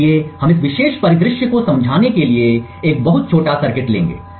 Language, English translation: Hindi, So, we will take a very small circuit to explain this particular scenario